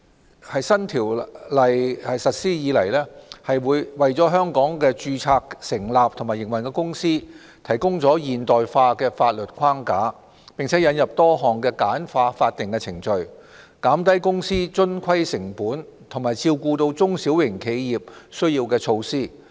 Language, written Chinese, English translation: Cantonese, 新《公司條例》自實施以來，為在香港註冊成立和營運的公司提供現代化的法律框架，並引入多項簡化法定程序、減低公司遵規成本和照顧中小型企業需要的措施。, Since its implementation the new Companies Ordinance has provided a modern statutory framework for the incorporation and operation of companies in Hong Kong . A number of measures have been introduced under the Ordinance to simplify statutory procedures reduce the compliance costs of companies and cater for the needs of small and medium enterprises SMEs